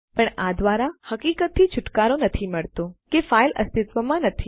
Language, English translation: Gujarati, But it doesnt excuse the fact that the file doesnt exist